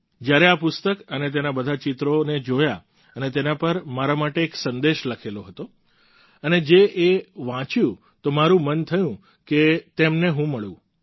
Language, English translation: Gujarati, When I saw the book and all the pictures and the message for me written there, I felt l should meet the one who had left it for me